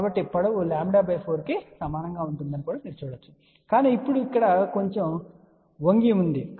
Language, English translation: Telugu, So, you can see that the length will be same lambda by 4, but it is now little bent over here